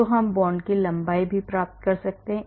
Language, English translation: Hindi, So, we can get the bond lengths also